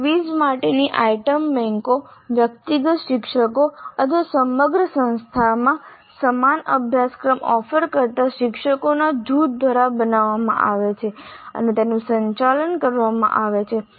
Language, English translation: Gujarati, The item banks for quizzes are created and managed by the individual teachers or the group of teachers offering a same course across the institute